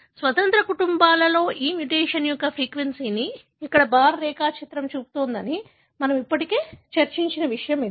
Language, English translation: Telugu, This is something that we have already discussed that the bar diagram here shows the frequency of these mutation in independent families